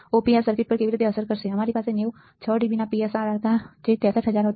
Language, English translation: Gujarati, How this will affect on the Op amp circuit, we had PSRR of 90 6 dB we will have was 63000